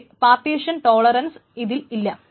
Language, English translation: Malayalam, Of course they are partition tolerant